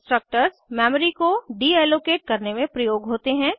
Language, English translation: Hindi, Destructors are used to deallocate memory